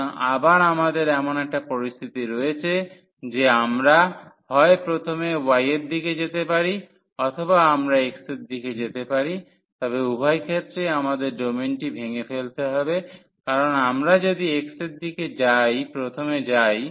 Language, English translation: Bengali, So, again we have the situation that we can either go in the direction of y first or we go in the direction of x first, but in either case we have to break the domain because even if we go first in the direction of x